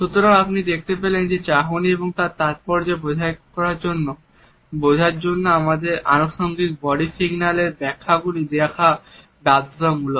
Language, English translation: Bengali, So, you would find that in order to understand the glance and its significance it is imperative for us to look at the interpretations of the accompanying body signals also